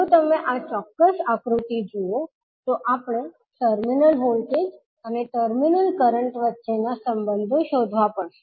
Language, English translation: Gujarati, If you see this particular figure, we need to find out the relationship between terminal voltage and terminal current